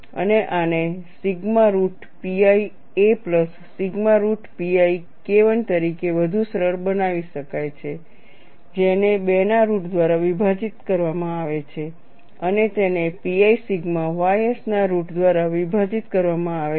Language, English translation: Gujarati, And this could be further simplified as sigma root pi a plus sigma root pi K 1 divided by root of 2 multiplied by root of pi sigma ys, these are all intermediate steps